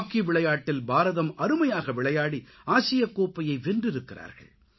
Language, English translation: Tamil, In hockey, India has won the Asia Cup hockey title through its dazzling performance